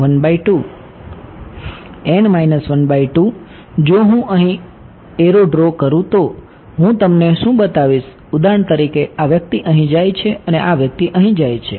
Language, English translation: Gujarati, n minus half right if I were to draw arrows over here what should I show you for example, this guy goes in here and this guy goes in over here